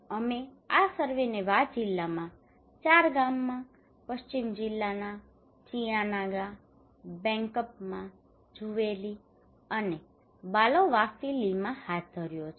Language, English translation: Gujarati, We conducted this survey in four villages in Wa district, West district, Chietanaga, Bankpama, Zowayeli and Baleowafili